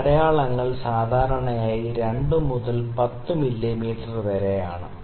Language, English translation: Malayalam, So, these markings are generally from 2 to 10 mm